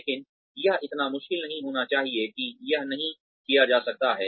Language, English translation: Hindi, But, it should not be so difficult, that it cannot be done